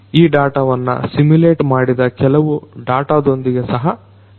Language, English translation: Kannada, These data could be even augmented with certain simulated data as well